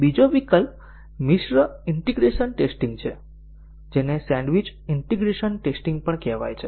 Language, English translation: Gujarati, The other alternative is a mixed integration testing also called as a sandwiched integration testing